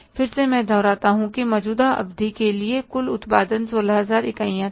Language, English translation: Hindi, Again I repeat that total production for the current period was 16,000 units